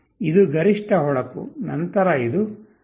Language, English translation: Kannada, This is the maximum brightness, then this is 0